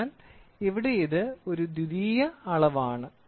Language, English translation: Malayalam, So, here it is a secondary measurement